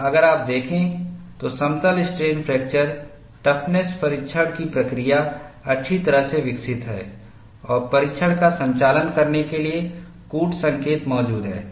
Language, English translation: Hindi, And if you look at, the procedure for plane strain fracture toughness testing is well developed and codes exist to conduct the test